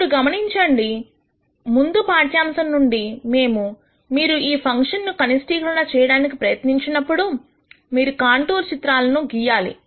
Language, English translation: Telugu, Now, notice from the previous lecture we described that while you try to minimize these functions you do what are called contour plots